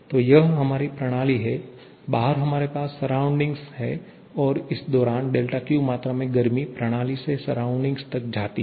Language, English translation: Hindi, So, this is our system, outside we have the surrounding and during this del Q amount of heat moves from system to the surrounding